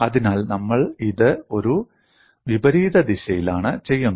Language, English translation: Malayalam, So, we do it in a reverse fashion